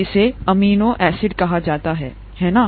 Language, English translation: Hindi, This is called an amino acid, right